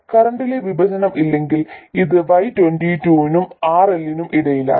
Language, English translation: Malayalam, When I say no current division, this is between Y22 and RL